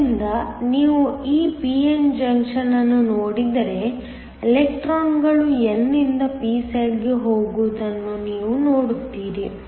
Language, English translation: Kannada, So, if you look at this p n junction, you see that the electrons go from the n to the p side